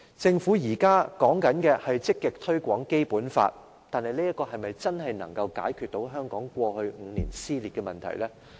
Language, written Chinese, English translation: Cantonese, 政府現時提倡積極推廣《基本法》，但這可否真正解決香港過去5年的撕裂問題呢？, The Government is actively promoting the Basic Law now but can this address the social split over the past five years in Hong Kong?